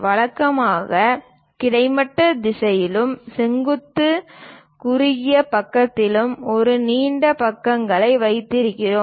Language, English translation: Tamil, Usually, we keep a longer side in the horizontal direction and the vertical shorter side